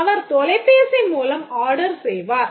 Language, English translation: Tamil, This is a telephone order system